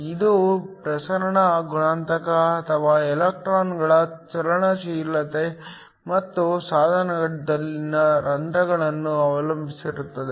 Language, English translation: Kannada, It depends upon the diffusion coefficient or the mobility of the electrons and holes in the device